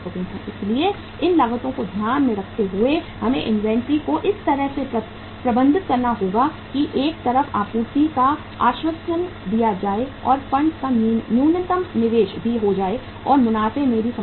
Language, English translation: Hindi, So keeping these costs in mind we will have to manage the inventory in such a way that on the one side supply is assured and the funds are also minimum investment of the funds also takes place and the profitability is also not compromised